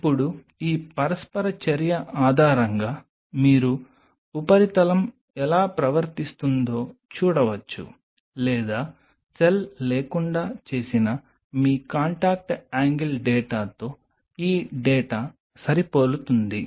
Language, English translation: Telugu, Now based on this interaction you can see how the surface is behaving or this does this data matches with your contact angle data which was done without the cell